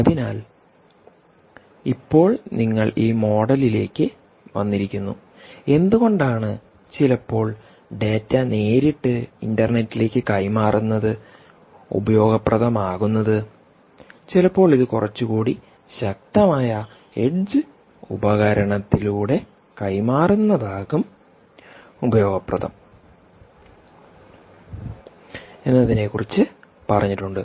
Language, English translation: Malayalam, so now you have come to this model and i have sort of given you a sort of a motivation why sometimes it's useful to pass data directly to the internet and why sometimes it useful to pass through a little more powerful edge device